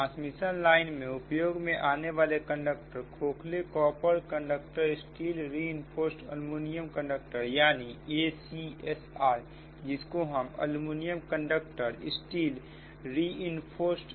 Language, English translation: Hindi, so the conductor use for transmission lines are standard copper conductors, hollow copper conductors and aluminium conductors, steel reinforced, that is a c s r, that is we call aluminium, copper, steel reinforced